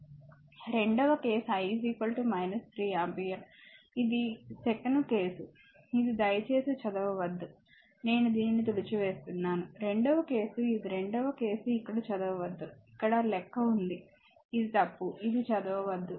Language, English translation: Telugu, Second case I is equal to minus 3 ampere, just tell me one thing this one second case this one please do not read I am I am striking it off right, second case your this one the second case this do not read here it is that calculation here, it is wrong this do not read